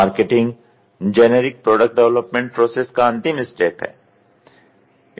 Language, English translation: Hindi, Marketing comes the last phase of the generic product development process